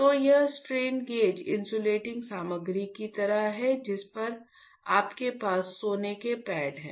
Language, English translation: Hindi, So, it is like of strain gauge insulating material on that you have the gold pads, this guy